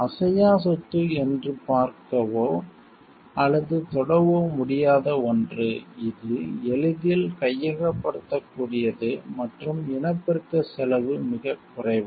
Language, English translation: Tamil, Intangible property is something which cannot be seen or touched, which can be easily appropriated and cost of reproduction is negligible